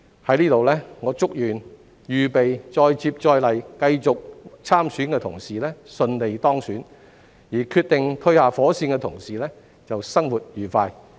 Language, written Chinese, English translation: Cantonese, 在這裏我祝願預備再接再厲、繼續參選的同事順利當選，決定退下火線的同事生活愉快。, Here for Members who are ready to keep going and run for re - election I wish them success; and for those who have decided to retire from office I wish them a joyful life